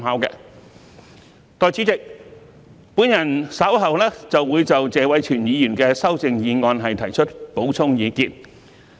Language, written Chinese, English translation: Cantonese, 代理主席，我稍後會就謝偉銓議員的修正案提出補充意見。, Deputy President I will later express further views on Mr Tony TSEs amendment